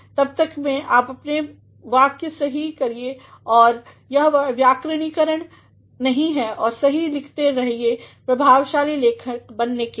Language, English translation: Hindi, Till then keep correcting your sentences if they are ungrammatical and keep writing correctly in order to be effective writers